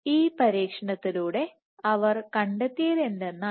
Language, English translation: Malayalam, So, what they observed by doing this experiment